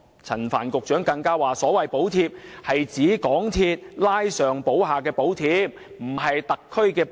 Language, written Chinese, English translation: Cantonese, 陳帆局長更指所謂的補貼，是指港鐵公司拉上補下的補貼，而並非政府的補貼。, Secretary Frank CHAN went further to say that the so - called subsidy was not government subsidy but cross - subsidization of MTRCL